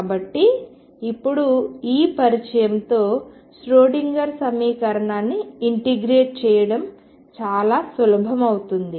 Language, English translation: Telugu, So, now, with this introduction to integrate the Schrodinger equation becomes quite easy